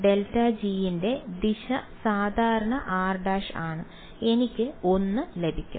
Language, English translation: Malayalam, Direction of grad g is r hat normal is also r hat I get a 1 right